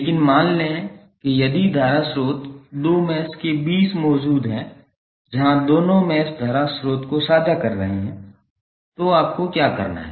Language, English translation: Hindi, But suppose if the current source exist between two meshes where the both of the meshes are sharing the current source then what you have to do